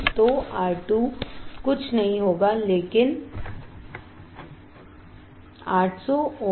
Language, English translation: Hindi, So, R 2 would be nothing, but 800 ohms